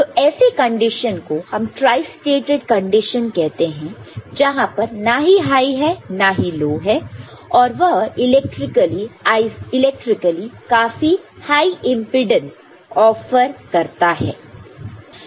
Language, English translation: Hindi, So, this is the condition we say is tri stated which is neither high nor low and it offers high impedance, it is electrically offering very high impedance